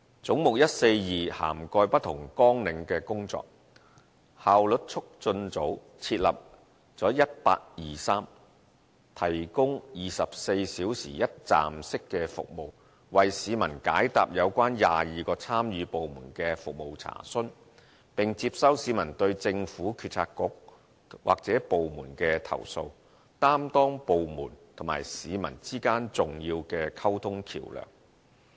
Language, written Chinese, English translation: Cantonese, 總目142涵蓋不同綱領的工作，效率促進組設立了 1823， 提供24小時一站式的服務，為市民解答有關22個參與部門的服務查詢，並接收市民對政府政策局或部門的投訴，擔當部門和市民之間的重要溝通橋樑。, Head 142 covers various work of different programmes . The Efficiency Unit has set up 1823 which provides 24 - hour one - stop service to handle public service enquiries on behalf of 22 participating departments and pubic complaints against government bureaux and departments and has thus established itself as a significant bridge of communication between departments and the public